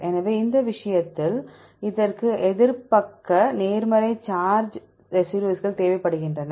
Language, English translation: Tamil, So, in this case it requires the opposite side positive charge residues